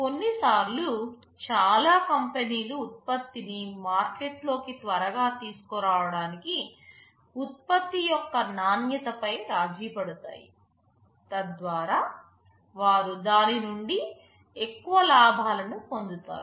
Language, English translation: Telugu, Sometimes many companies compromise on the quality of product in order to bring the product to the market earlier, so that they can reap greater profit out of it